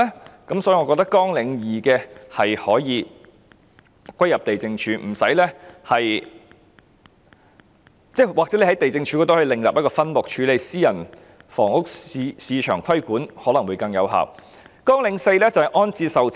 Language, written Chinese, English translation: Cantonese, 有鑒於此，我認為綱領2可以歸入地政總署，當然，政府亦可以在地政總署下另設一個分目，處理私人房屋市場的規管事宜，這樣可能更有效。, In view of this I believe Programme 2 can be incorporated into LandsD . Certainly the Government may also add a separate subhead under LandsD to deal with the regulation of the private residential property market which may render it more effective